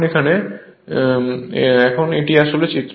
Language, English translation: Bengali, Now, this is actually figure